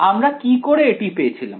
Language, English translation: Bengali, How did we arrive at this